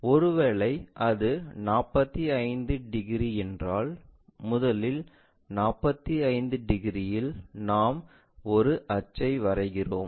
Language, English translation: Tamil, So, if this is 45 degrees let us consider, this one also 45 degrees line, we will draw it from this point